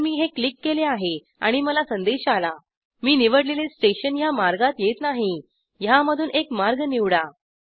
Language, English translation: Marathi, So let me click this i get the message The From station that i have selected does not exist on the route choose one of these